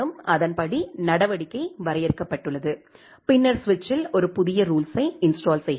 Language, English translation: Tamil, And accordingly the action has been defined and then we are installing a new rule to in the switch